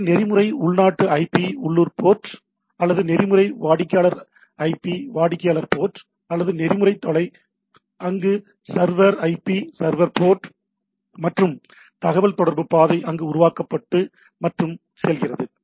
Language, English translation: Tamil, So, protocol local IP local port or protocol client IP client port or protocol remote there is server IP server port and it once that communication path is there established and the goes on